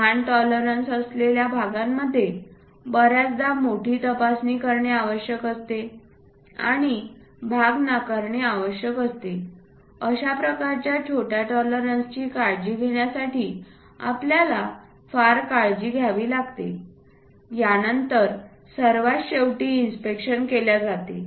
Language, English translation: Marathi, Parts with small tolerances often requires greater inspection and call for rejection of parts, how much care we might be going to take to care such kind of small tolerances, end of the day it has to go through inspection